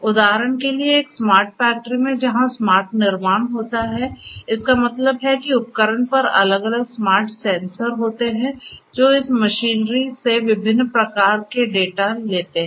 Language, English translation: Hindi, For example, in a smart factory in a smart factory where there is smart manufacturing; that means, the equipments themselves are fitted with different smart sensors and so on, which continuously access the data from data of different types from this machinery